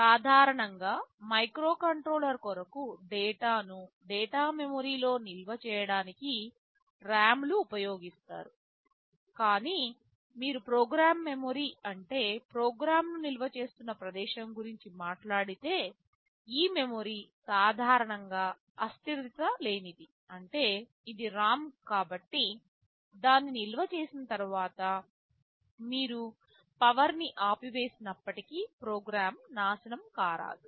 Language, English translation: Telugu, For microcontroller RAMs are typically used to store data in the data memory, but when you talking about program memory the place where you are storing a program, this memory is typically non volatile; which means because it is a ROM, once you store it even if you switch off the power the program will not get destroyed